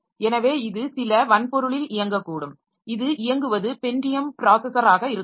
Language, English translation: Tamil, So, this may be running on some hardware, say it may be some Pentium processor onto which it is running